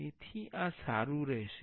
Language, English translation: Gujarati, So, this will be fine